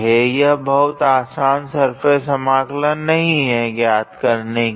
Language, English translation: Hindi, This is not a very simple surface integral to evaluate